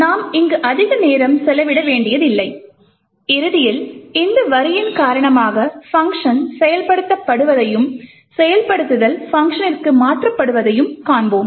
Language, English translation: Tamil, So, we don’t have to spend too much time over here and eventually we would see that the function gets invoked due to this line and the execution has been transferred to the function